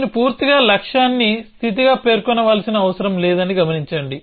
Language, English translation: Telugu, So, observe of course, that I do not need to completely specify the goal as a state